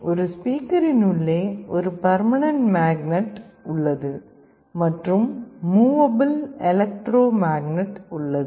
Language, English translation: Tamil, Inside a speaker there is a permanent magnet and there is a movable electromagnet